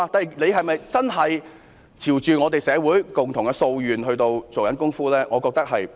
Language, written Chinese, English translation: Cantonese, 政府是否真的朝着社會共同的訴願來做工夫呢？, Is the Government really making efforts to meet the common aspiration of society?